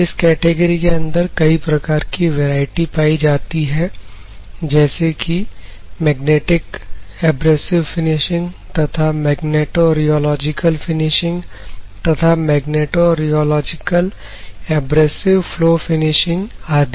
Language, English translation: Hindi, So, in this category they are varieties of processes ranging from magnetic abrasive finishing to magnetorheological finishing to magnetorheological abrasive flow finishing and so on